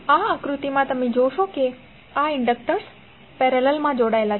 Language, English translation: Gujarati, So in this figure you will see that these inductors are connected in parallel